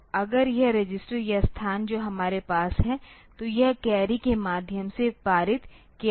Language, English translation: Hindi, So, we just if this is the register or location that we have, so it is a passed through the carry